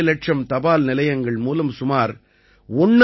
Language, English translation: Tamil, 5 lakh post offices